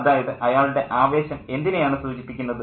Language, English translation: Malayalam, What does his enthusiasm suggest